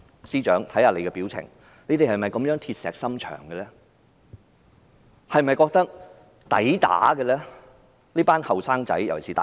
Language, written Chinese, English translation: Cantonese, 司長，看看你的表情，你們是否這麼鐵石心腸，是否覺得這些人該打？, Chief Secretary look at your facial expressions . Are you so hard - hearted and do you feel that those people deserved to be beaten up?